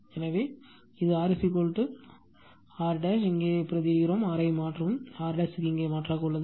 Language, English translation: Tamil, So, it is R is equal to this, R is R dash is equal to you substitute here, you substitute R, and this R dash here you substitute